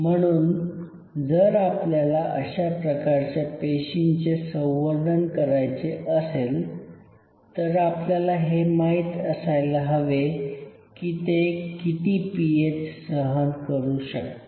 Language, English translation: Marathi, So, if we are culturing these kinds of cells, we should know that what is the level they can withstand